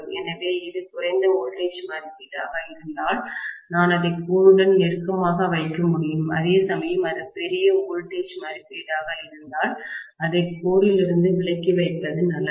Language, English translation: Tamil, So, if it is lower voltage rating, I can put it closer to the core, whereas if it is larger voltage rating, I better put it away from the core